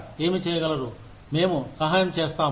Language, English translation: Telugu, What can we do, to help